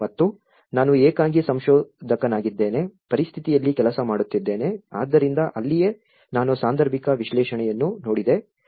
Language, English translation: Kannada, And I am a lonely researcher, working at the situation so that is where, I looked at a situational analysis